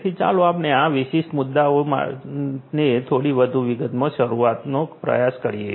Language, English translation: Gujarati, So, let us try to begin into this particular issue in little bit more detail